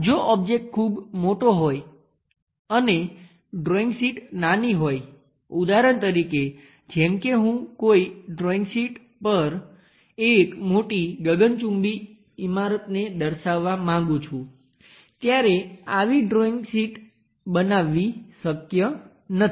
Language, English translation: Gujarati, If the object is very large and the drawing sheet is small for example, like I would like to represent a big skyscraper on a drawing sheet it is not possible to construct such kind of big drawing sheets